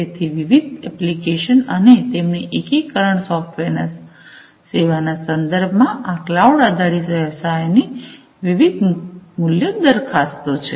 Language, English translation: Gujarati, So, different applications and their integration software as a service; so, these are the different value propositions in the cloud based business model